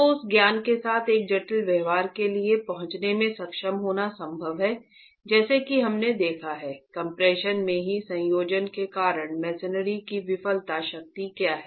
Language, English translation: Hindi, So with that knowledge is it possible to be able to arrive at for a complex behavior as we have seen because of the coaction, what is the failure strength of masonry itself in compression